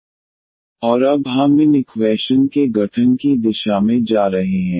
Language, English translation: Hindi, And now we will we are going to the direction of the formation of these differential equation